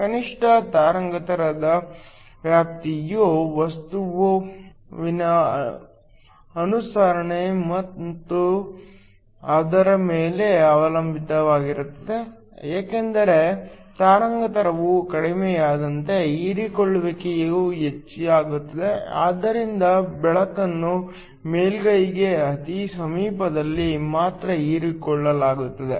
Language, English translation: Kannada, The minimum wavelength range depended upon the observance of the material because as wavelength decreases absorbance increases so that light is only absorbed very close to the surface